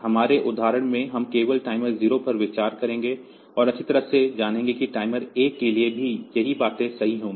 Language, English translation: Hindi, So, we will consider only timer 0 and knowingfully well that the same thing will also be true for timer 1